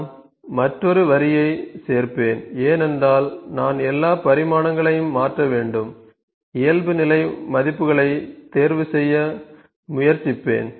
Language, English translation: Tamil, I will just remove this line and add another line because I was to change all the dimensions, I will just try to pick the default values which are there I will connect using a connector